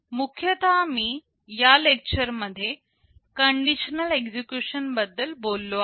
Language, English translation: Marathi, In particular I have talked about the conditional execution in this lecture